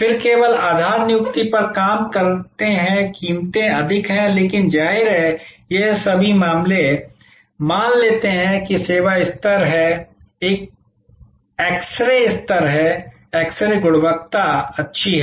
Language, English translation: Hindi, Then, only operate on the basis appointment the prices are higher, but; obviously, all this cases will assume that the service level is, that x ray level is, x ray quality is good